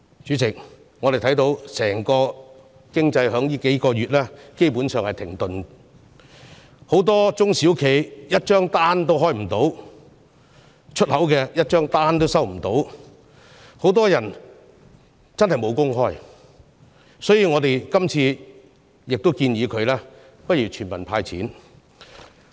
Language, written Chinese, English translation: Cantonese, 主席，我們看到整個經濟在最近數月基本上是停頓的，很多中小企一張出口訂單都接不到，很多人無工開，所以，經民聯這次建議政府向全民"派錢"。, Chairman as we can see the entire economy has basically been at a standstill in recent months . Many SMEs have received not even one export order and many people have been out of job